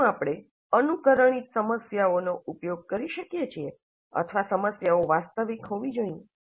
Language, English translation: Gujarati, Can we use simulated problems or the problems must be the real ones